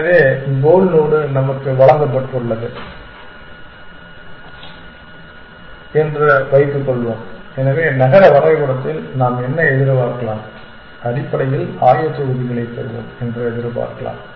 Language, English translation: Tamil, So, let us assume that the goal node is given to us, so what can we expect in the city map we can expect to get coordinates essentially